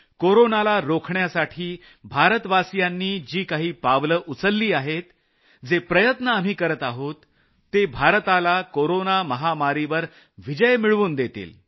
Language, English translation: Marathi, The steps being taken by Indians to stop the spread of corona, the efforts that we are currently making, will ensure that India conquers this corona pandemic